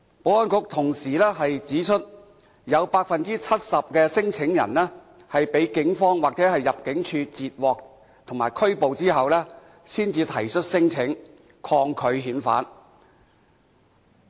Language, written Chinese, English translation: Cantonese, 保安局同時指出，有 70% 的聲請者，是在被警方或入境處截獲或拘捕後才提出聲請，抗拒遣返。, The Security Bureau also said that 70 % of the claimants lodged their claims only after being intercepted or arrested by the Police or ImmD